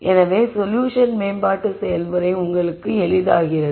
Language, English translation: Tamil, So that the solution development process becomes easier for you as you go along